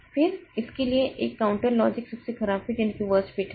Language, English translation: Hindi, Then a counter logic for this is the worst fit